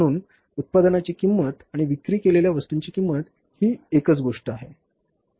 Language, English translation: Marathi, So, cost of production and cost of goods sold is the one is the same thing